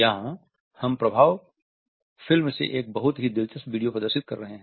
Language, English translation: Hindi, Here we are displaying a very interesting video from impact movie